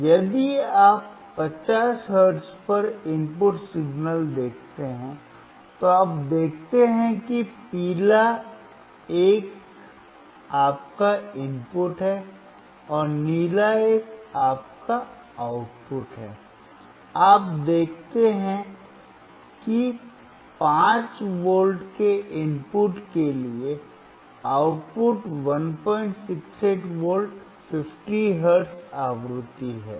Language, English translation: Hindi, So, if you see input signal at 50 hertz, you see the yellow one is your input, and the blue one is your output, you see that for the input of 5 V, the output is 1